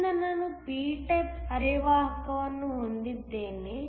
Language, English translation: Kannada, So, I have a p type semiconductor